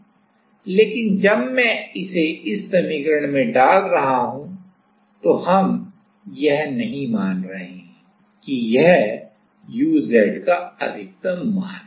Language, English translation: Hindi, But, while I am putting it into this equation; we are not considering that that is the maximum value of u z right